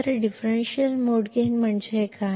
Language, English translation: Kannada, So, what is differential mode gain